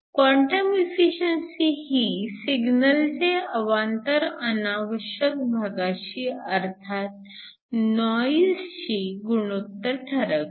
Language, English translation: Marathi, The quantum efficiency determines the signal to noise ratio